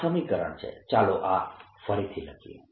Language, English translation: Gujarati, lets write this again